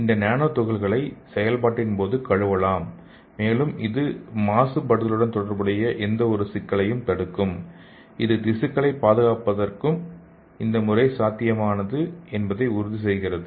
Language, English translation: Tamil, And this nanoparticles could be washed away during the process and it will prevent the any contamination associated issues and ensuring that this method is viable for tissue preservation